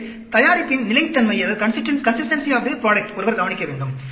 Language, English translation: Tamil, So, one needs to look at the consistency of the product